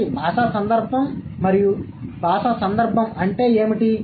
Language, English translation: Telugu, And what is linguistic context